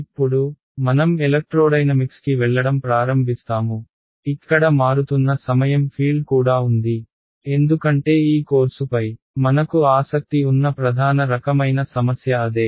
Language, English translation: Telugu, Now, we will begin to move into the area of electrodynamics, where there is a time varying field as well because that is the main kind of problems that we are interested in this course